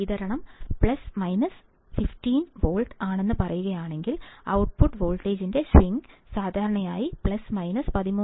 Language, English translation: Malayalam, 5, if the supply is said to be plus minus 15 volts, that is, the bias is plus minus 15 volts